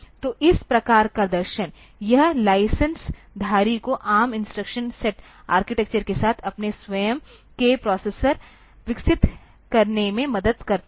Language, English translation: Hindi, So, this type of philosophy, this helps the licensee to develop their own processors complaint with the ARM instruction set architecture